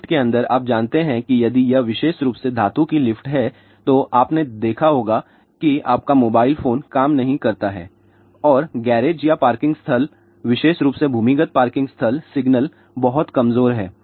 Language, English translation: Hindi, Inside the lift you know that if it is specially a metallic lift ah you might have notice that your mobile phone does not work, and garage or parking lots specially underground parking lot signal is very very weak